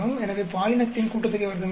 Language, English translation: Tamil, So, we have the gender sum of squares 561